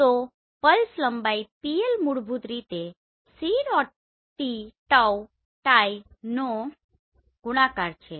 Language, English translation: Gujarati, So the pulse length PL is basically c tau